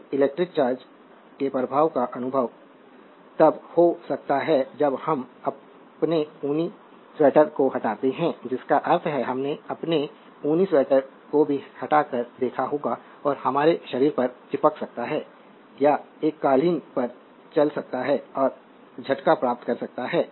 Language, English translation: Hindi, So, effects of electric charge can be experience when we carry to a remove our woolen sweater I mean you might have seen also remove our woollen sweater and have it stick to our body or walk across a carpet and receive a shock